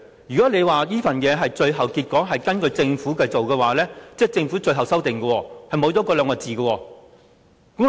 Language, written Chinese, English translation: Cantonese, 如果你說這份文件是最後的，是根據政府提供的文件而寫的，即是政府的最後修訂刪去了那兩個字。, According to what you have said this is the final version prepared on the basis of the document provided by the Government . In other words the Government has deleted the word just in its final revision